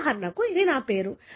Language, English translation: Telugu, For example, it is my name